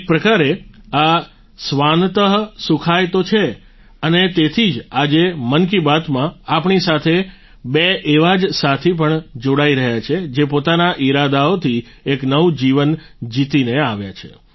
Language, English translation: Gujarati, In a way, it is just 'Swant Sukhay', joy to one's own soul and that is why today in "Mann Ki Baat" two such friends are also joining us who have won a new life through their zeal